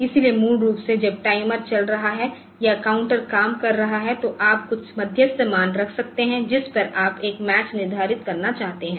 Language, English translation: Hindi, So, basically when the timer is operating or the counter is operating so you can you can have some intermediary values at which you want to determine a match